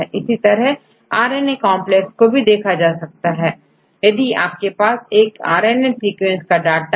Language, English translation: Hindi, As well as you can do the same for the RNA complexes, if we have the data for the RNA sequences